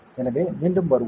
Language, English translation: Tamil, So, let us come back